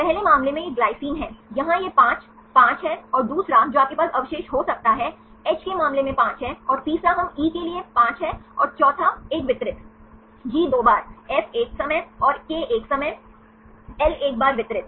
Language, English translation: Hindi, For the first case it is glycine, here it is 5 5 and the second one you can have a residue, have the 5 in the case of H and the third one we have 5 for E and the fourth one distributed, G 2 times, F 1 time, and K 1 time, L 1 time distributed